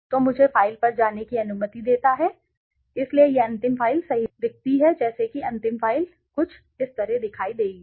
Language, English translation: Hindi, So, let me go to the file so this is how the final file look like right the final file will look something like this